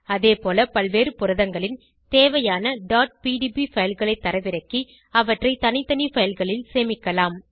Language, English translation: Tamil, Similarly, you can download the required .pdb files of various proteins and save them in separate files